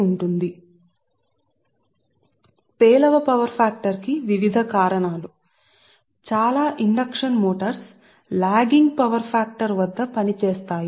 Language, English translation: Telugu, right now, various causes of low power factor: most of the induction motors operate at lagging power factor right